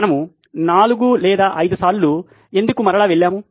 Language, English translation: Telugu, Why we ran 4 or 5 times